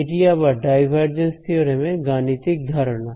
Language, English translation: Bengali, This is again a very computational idea of the divergence theorem